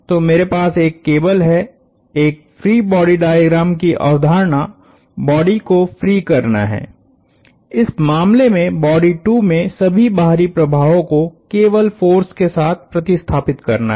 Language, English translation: Hindi, So, I have a cable, in the whole idea of a free body diagram is to free the body, body 2 in this case of all external influences and replace the influence with simple forces